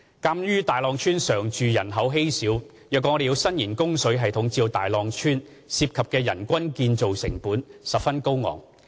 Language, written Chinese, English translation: Cantonese, 鑒於大浪村常住人口稀少，若要伸延自來水供應系統至大浪村，涉及的人均建設成本十分高昂。, Given its sparse resident population the per capita construction cost for extending the treated water system to the village is very high